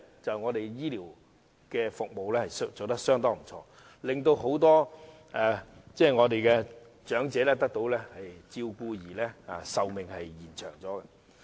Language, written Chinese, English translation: Cantonese, 就是本港醫療服務做得相當不錯，令很多長者得到照顧因而延長壽命。, This is attributable to the outstanding health care services in Hong Kong . The elderly are given proper health care and they can thus live longer